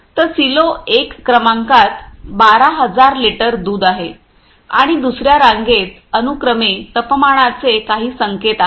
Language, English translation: Marathi, So, in the in the silo number ones are there is a 12000 litres milk are there and in second row some respectively temperatures indications are there